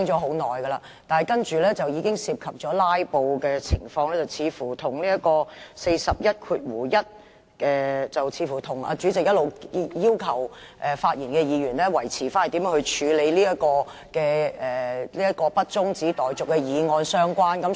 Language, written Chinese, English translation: Cantonese, 她的發言涉及"拉布"，這似乎關乎第411條，以及主席一直對議員發言的要求，即內容必須圍繞這項不中止待續的議案。, Her speech touches on the issue of filibustering . It seems that this is related to RoP 411 and the Presidents requirement on Members speeches all long―the contents must centre on this motion that the debate be not adjourned